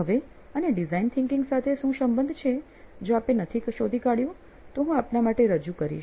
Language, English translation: Gujarati, Now, what has this got to do with design thinking, if you have not figured it out, I will lay it out for you